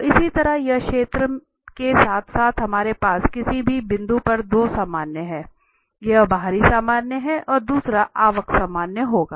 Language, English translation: Hindi, So, similarly here for the sphere as well we have the 2 normals at any point, one is the outward normal and the another one will be the inward normal